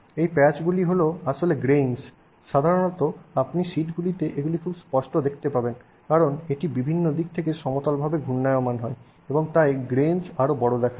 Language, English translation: Bengali, Typically they are grains, especially in sheets you will see this very clearly because it's rolled and flattened out in various directions and therefore the grains look larger